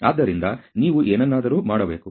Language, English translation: Kannada, So, you have to do something